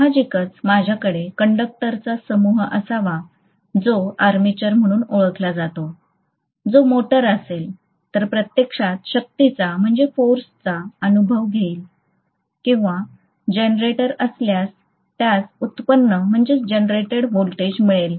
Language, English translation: Marathi, Obviously I have to have the bunch of conductors which is known as armature which will actually experience the force if it is a motor or which will actually have the generated voltage if it is a generator